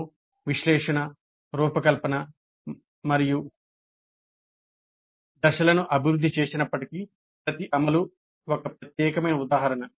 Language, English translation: Telugu, Though we have the analysis, design and develop phase, each implementation is a unique instance